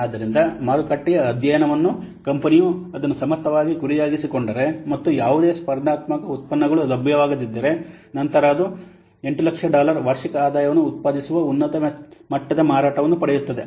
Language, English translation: Kannada, So, study of the market shows that if the company can target it efficiently and no competing products become available, then it will obtain a high level of sales generating what an annual income of $8,000